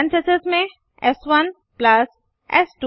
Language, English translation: Hindi, Within parentheses s1 plus s2